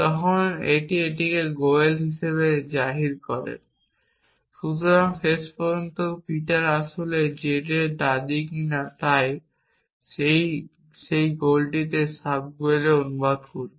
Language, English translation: Bengali, So, at last whether Peter is a grandmother of some z essentially So, it will translate that gole into the subgoel